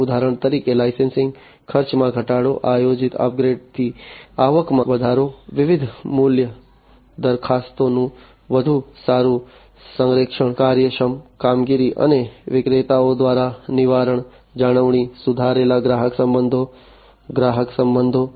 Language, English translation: Gujarati, For example, reduced licensing costs, increased revenue from planned upgrades, better alignment of the different value propositions, efficient operations and preventive maintenance by vendors, improved customer relationships customer relations